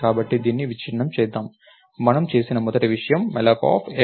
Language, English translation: Telugu, So, lets break this down, the first thing we have done is a malloc of sizeof int star